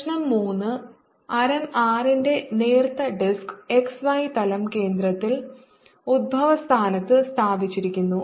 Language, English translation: Malayalam, problem number three: a thin disc of radius r is placed in the x y plane with the center at the origin